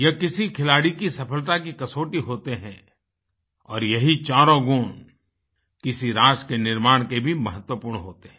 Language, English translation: Hindi, They are the ultimate test for a sportsperson's mettle… all four of these virtues form the core foundation of nation building universally